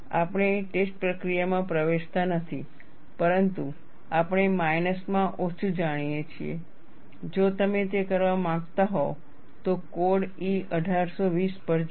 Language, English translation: Gujarati, We are not getting into the test procedure, but we at least know, if you want to do that, go to code E 1820